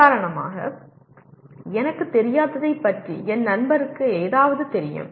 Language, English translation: Tamil, For example my friend knows something about what I do not know